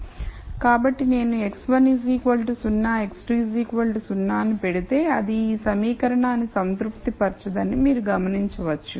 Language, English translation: Telugu, So, you will notice that if I put x 1 equals 0 x 2 equal to 0 it does not satisfy this equation